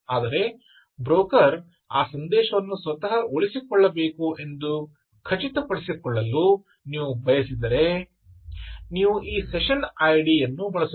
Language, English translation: Kannada, so, but if you want to ensure that the broker actually has to retain that message on itself, then you use this session id accordingly